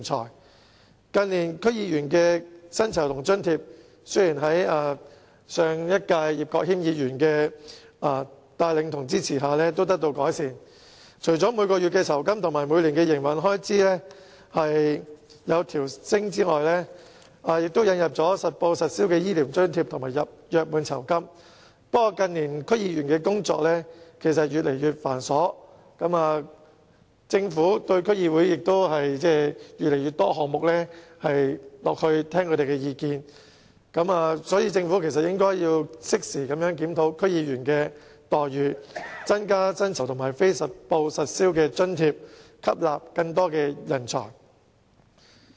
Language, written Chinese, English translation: Cantonese, 雖然近年區議員的薪酬和津貼已在前立法會議員葉國謙的帶領和支持下得到改善，除了每月薪金和每年營運開支有所調升，亦引入了實報實銷的醫療津貼和約滿酬金；不過，近年區議員的工作越來越繁瑣，政府也就越來越多項目聆聽區議會的意見，因此，政府應適時檢討區議員的待遇，增加薪酬和非實報實銷津貼，吸納更多人才。, In recent years thanks to the advocacy by the former Member Mr IP Kwok - him the remuneration and allowances of DC members have indeed seen some improvement . Apart from the increases in monthly salary and the annual Operating Expenses Allowance accountable medical allowance and gratuity have also been introduced . This notwithstanding the work of DC members has become increasingly burdensome and the Government also consults DCs on an increasing number of items so the Government should review the remuneration of DC members at an appropriate time and increase their pay and non - accountable allowances so as to attract more talents